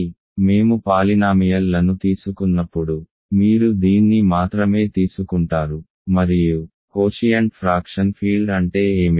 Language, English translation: Telugu, So, when we take polynomials, you just take this and what is the quotient fraction field